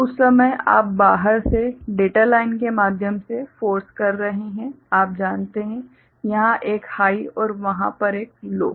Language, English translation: Hindi, So, at that time you are forcing from external you know through this data line, a high over here and a low over there